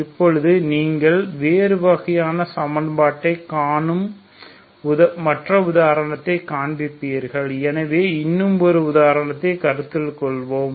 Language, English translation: Tamil, Now will see the other example where you see different other type of equation so will consider one more example